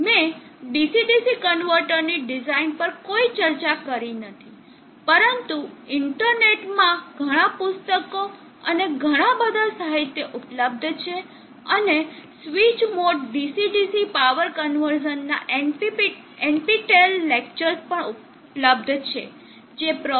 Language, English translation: Gujarati, I have not discussed anything on the design of the DC DC converter, but there are host of books and lot of literature available in the net and also NPTEL lectures which is more DC DC power conversation, NPTEL lectures by Prof